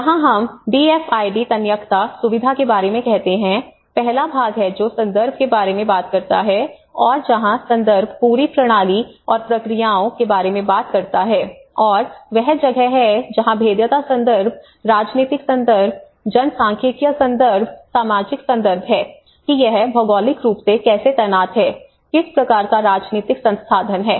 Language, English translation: Hindi, Here we call about DFIDs resilience framework, so one is the first part which talks about the context and where the context talks about the whole system and the processes and that is where when the context where the vulnerability context, where the political context, where the demographic context, where the social context whether how it geographically positioned, what kind of political institution